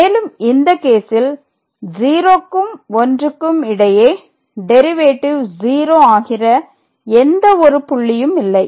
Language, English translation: Tamil, And, in this case we are not getting any point between this 0 and 1 where the function is taking over the derivative is vanishing